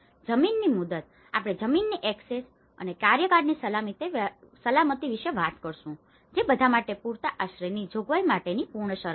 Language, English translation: Gujarati, Land tenure, we talk about the access to land and security of tenure which are the prerequisites for any provision of adequate shelter for all